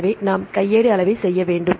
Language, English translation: Tamil, So, we need to do the manual curation